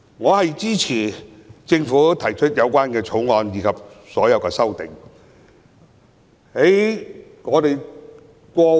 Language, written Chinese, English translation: Cantonese, 我支持政府提出這項《條例草案》及所有修正案。, I support the Bill and all the amendments thereto as proposed by the Government